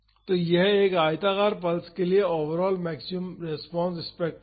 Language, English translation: Hindi, So, this was the overall maximum response spectrum for a rectangular pulse force